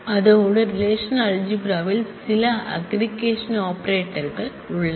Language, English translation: Tamil, Besides that relational algebra has some aggregation operators